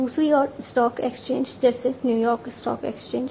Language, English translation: Hindi, On the other hand, you know stock exchanges like New York stock exchange, etcetera